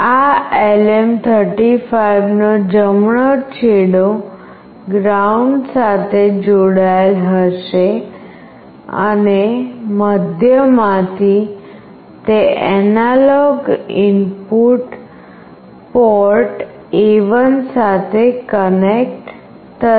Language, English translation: Gujarati, The right end of this LM 35 will be connected to ground, and from the middle position it will be connected to the analog port A1